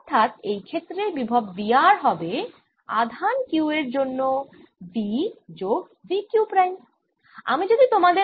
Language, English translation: Bengali, in this case v r is going to be v due to this q plus v q prime